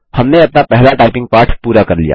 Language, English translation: Hindi, We have completed our first typing lesson